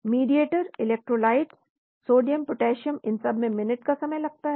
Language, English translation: Hindi, Mediators, electrolytes, Sodium, Potassium again it is minutes